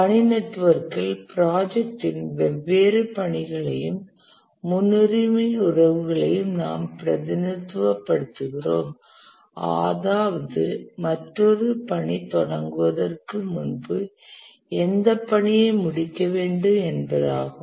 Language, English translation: Tamil, In the task network, we represent the different tasks in the project and also the precedence relationships, that is, which task must complete before another task can start